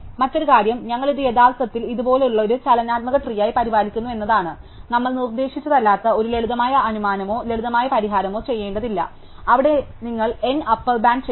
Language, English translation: Malayalam, The other thing is that we actually maintain it as a dynamic tree like this, we do not have to make an assumption as we did not or simple solution that we just proposed, where we upper bound N